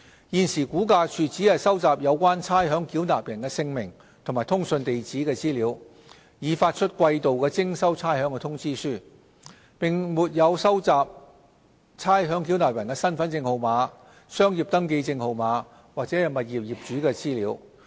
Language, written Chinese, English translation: Cantonese, 現時估價署只收集有關差餉繳納人姓名及通訊地址的資料，以發出季度徵收差餉通知書，並沒有收集差餉繳納人的身份證號碼、商業登記證號碼或物業業主的資料。, At present for the purpose of issuing quarterly demand notes for rates payment RVD collects information on the names and mailing addresses of the ratepayers but not their Hong Kong Identity Card numbers the Business Registration numbers or information of the owners of the tenements